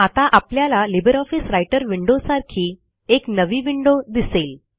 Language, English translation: Marathi, We now see a new window which is similar to the LibreOffice Writer window